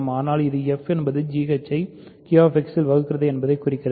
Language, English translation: Tamil, But this implies that f divides g h in Q X